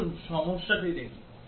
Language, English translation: Bengali, Let us look at the problem